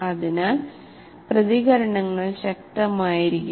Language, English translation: Malayalam, So the reactions can be fairly strong